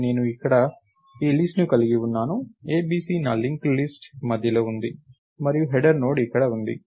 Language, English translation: Telugu, So, I have this list somewhere a, b, c is in the middle of my linked list, and header Node is here